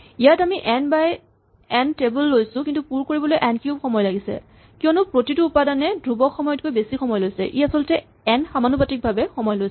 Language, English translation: Assamese, Here, we have a table which is n by n, but it takes n cube time to fill it up because each entry it requires more than constant time, it actually takes time proportional to n